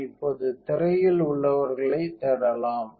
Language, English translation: Tamil, So, we can look for those on the screen now